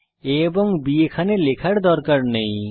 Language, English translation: Bengali, No need to initialize a and b here